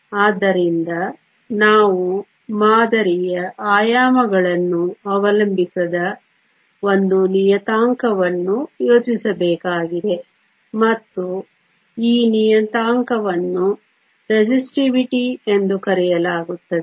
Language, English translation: Kannada, So, we need to think of a parameter that does not depend upon the dimensions of the sample and this parameter is called Resistivity